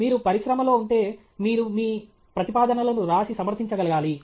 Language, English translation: Telugu, If you are in the industry, you must be able to write and defend your proposals okay